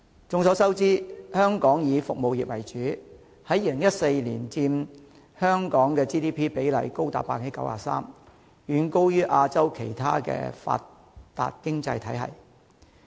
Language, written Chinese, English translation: Cantonese, 眾所周知，香港以服務業為主 ，2014 年佔香港的 GDP 高達 93%， 遠高於亞洲其他發達經濟體系。, As we all know Hong Kong is principally a service - based economy . In 2014 the service sector accounted for as much as 93 % of the Gross Domestic Product GDP of Hong Kong which was far higher than other developed economies in Asia